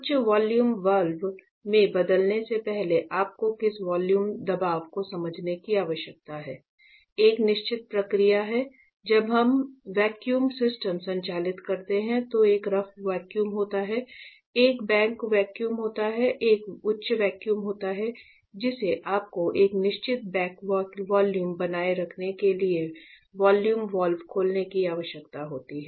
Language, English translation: Hindi, What vacuum pressure you need to understand before you change it to the high vacuum valve; there is a certain procedure when we operate vacuum system there is a rough vacuum, there is a back vacuum, there is a high vacuum that you need to open a vacuum valve after you retain a certain back vacuum